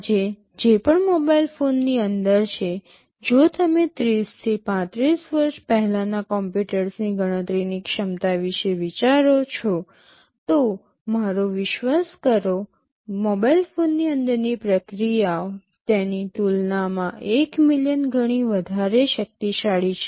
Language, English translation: Gujarati, Whatever is inside a mobile phone today, if you think of the computational capability of the computers that existed 30 to 35 years back, believe me the processes that are inside a mobile phone are of the tune of 1 million times more powerful as compared to what you used to see in the large computer systems in those days